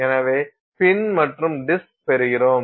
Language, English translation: Tamil, So, you can get this pin on disk setup